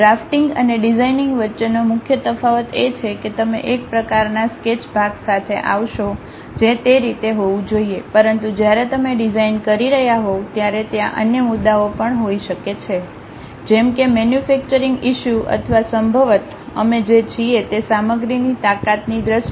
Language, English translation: Gujarati, The main difference between drafting and designing is, you come up with a one kind of sketch part it has to be in that way, but when you are designing there might be other issues like manufacturing issues or perhaps in terms of strength of materials what we are using and so on